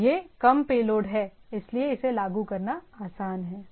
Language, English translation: Hindi, So, it is a less payload so it is easy to implement